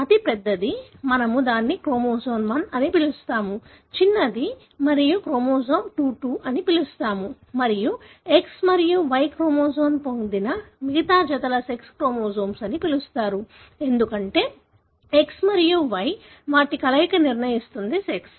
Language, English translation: Telugu, The one that is largest we call it as chromosome 1, the one that is smallest, you call as chromosome 22 and the remaining pair which has got X and Y chromosome are called as sex chromosome, because X and Y, their combination determine the sex